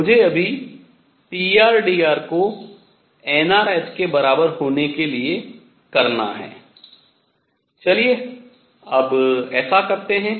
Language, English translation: Hindi, I am still to do pr dr to be equal to nr h let us do that now